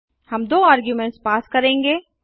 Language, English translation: Hindi, we will pass two arguments